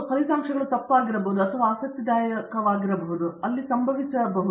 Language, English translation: Kannada, The results may be wrong that may be interesting may would have happened there